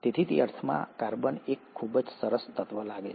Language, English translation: Gujarati, So in that sense, carbon seems to be a very nice element